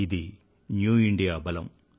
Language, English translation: Telugu, This is the power of New India